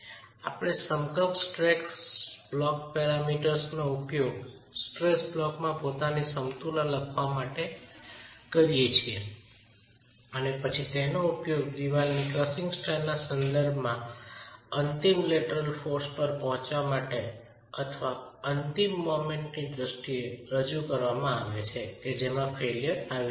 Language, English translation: Gujarati, We use equivalent stress block parameters, write down the equilibrium in the stress block and then use that with respect to the crushing strength of masonry to be able to arrive at the ultimate lateral force or represent in terms of the ultimate moment at which failure is occurring